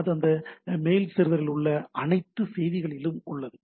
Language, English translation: Tamil, So, it is from the all messages are there in that mail server